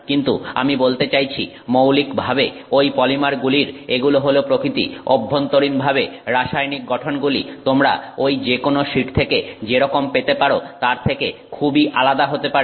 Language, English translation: Bengali, But fundamentally polymers being, I mean that being the nature of those polymers, internally the chemical structure may be very different from what you may get for any of those sheets